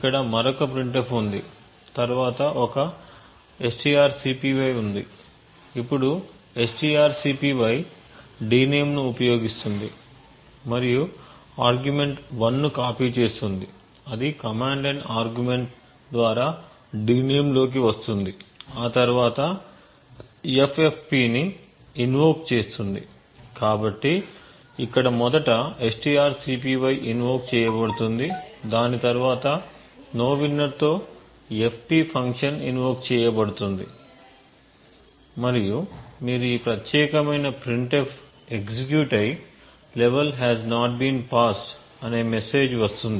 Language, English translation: Telugu, Now there is another printf and then a strcpy, now strcpy uses d name that is d name and copies argument 1 that is a command line argument into d name and then there is a invocation to ffp, so what you would expect over here is first the strcpy gets invoked and then the fp function which is pointing to nowinner that would get invoked and you would get this particular printf getting executed that is level has not been passed